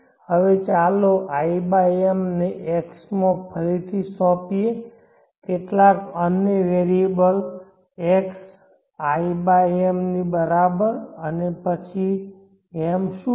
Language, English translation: Gujarati, Now let us i/m to x some other variable x = i/m and then what is m